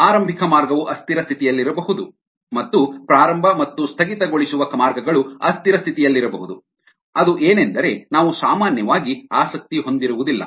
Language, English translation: Kannada, the initial path could be at unscheduled state and the final, the start up and the shut down paths, could be at unscheduled state, which we are not normally interested in